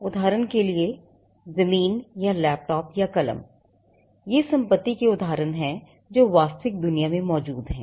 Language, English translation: Hindi, For example, land or a laptop or a pen, these are instances of property that exist in the real world